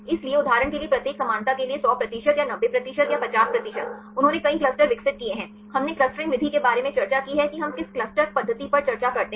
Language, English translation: Hindi, So, for each similarity for example, 100 percent or 90 percent or 50 percent, they developed several clusters right we discussed about the clustering method right which cluster method we discuss